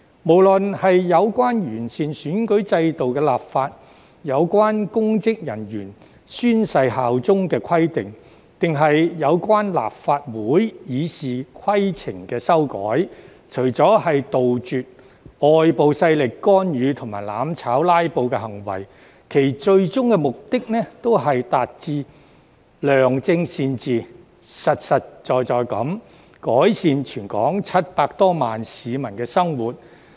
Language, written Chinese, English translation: Cantonese, 無論是有關完善選舉制度的立法、有關公職人員宣誓效忠的規定，還是有關立法會《議事規則》的修改，除了要杜絕外部勢力干預、"攬炒"及"拉布"行為，其最終目的都是達致良政善治，實實在在地改善全港700多萬名市民的生活。, The legislation on the improvement of the electoral system the requirement of swearing allegiance by public officers and the amendments to RoP of the Legislative Council―apart from seeking to eradicate interference by external forces and acts of mutual destruction and filibustering―all share the ultimate goal of achieving good administration and governance so as to practically improve the lives of over 7 million people in Hong Kong